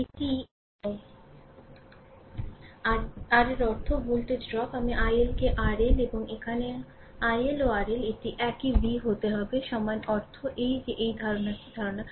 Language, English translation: Bengali, This is that your that means, voltage drop i i L into R L and here also i L into R L, this has to be same v is equal to your i mean that is that is the idea that is the idea right